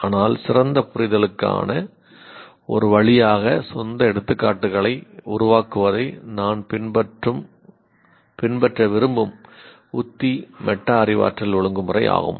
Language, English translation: Tamil, But the strategy that I want to follow of creating own examples as a way of better understanding is metacognitive regulation